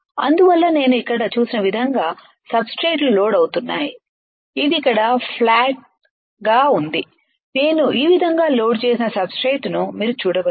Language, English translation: Telugu, So, that is why otherwise substrates are loaded as I have shown here which is flat here like this alright you can see substrate which I have loaded like this